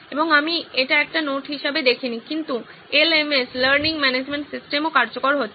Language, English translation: Bengali, And I did not see that as a note but the LMS, Learning Management System also coming into play